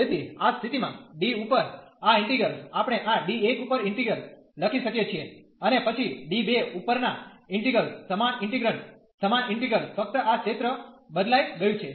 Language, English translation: Gujarati, So, in that case this integral over D, we can write the integral over this D 1 and then the integral over D 2 the same integrant, same integral only this region has changed